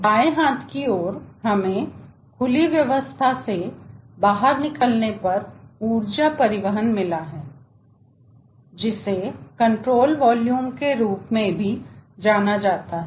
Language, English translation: Hindi, the left hand side: we have got energy transport at the exit of the open system, which is also known as control volume